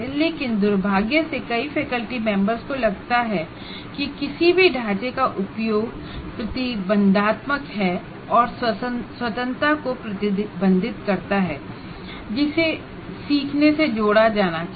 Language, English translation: Hindi, Many faculty members feel use of any framework is restrictive and restricts freedom that should be associated with learning